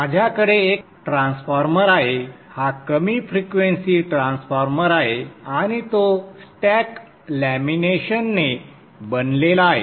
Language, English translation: Marathi, This is a low frequency transformer and you see here that it is composed of stacked laminations